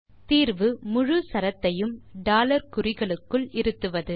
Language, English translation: Tamil, The solution is to enclose the whole string in between $